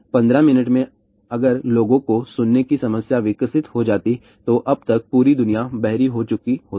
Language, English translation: Hindi, In 15 minutes if people had developed the hearing problem, then the whole world would have been deaf by now